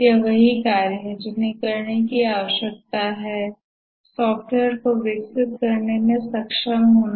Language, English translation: Hindi, That is, what are the activities that needs to be undertaken to be able to develop the software